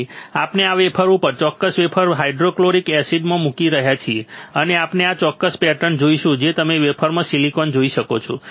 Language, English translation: Gujarati, So, we are placing the wafer this wafer, this particular wafer into buffer hydrofluoric acid and we will see this particular pattern which is you can see the silicon in the wafer